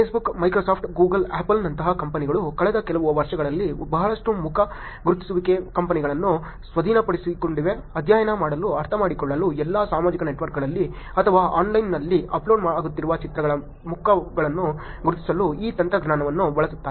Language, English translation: Kannada, Companies like Facebook, Microsoft, Google, Apple have actually acquired a lot of face recognition companies in the last few years, to study, to understand, to use these technologies to identify faces on pictures that are being uploaded on the all social networks or online services